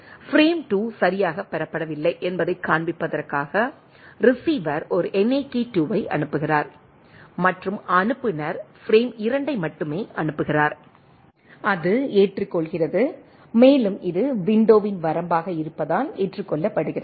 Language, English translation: Tamil, Receiver sends a receiver sends a NAK2 to show that the frame 2 has not been received right and sender the resends only frame 2 and it accept and it is accepted as it is the range of the window right